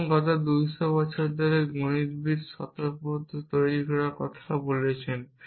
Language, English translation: Bengali, So, last 200 years mathematician have been talking about building axiomatic system